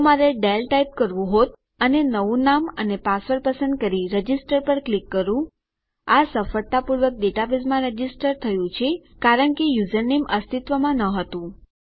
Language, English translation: Gujarati, If I was to type Dale and choose a new name and password and click register, we can see that it has been successfully registered into the database because the username does not exists